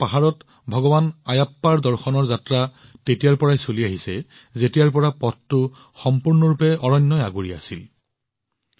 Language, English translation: Assamese, This pilgrimage to seek Darshan of Bhagwan Ayyappa on the hills of Sabarimala has been going on from the times when this path was completely surrounded by forests